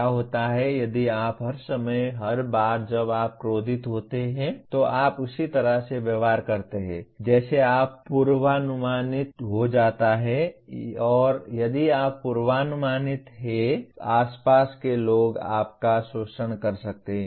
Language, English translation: Hindi, What happens if you all the time, every time you become angry you behave in the same way you become predictable and people can, people around you can exploit you if you are predictable